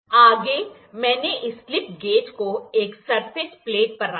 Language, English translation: Hindi, Next I have kept this slip gauges on a surface plate